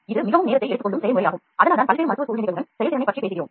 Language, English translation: Tamil, So, it takes a long time so that is what we are talking about effectiveness with various clinical scenario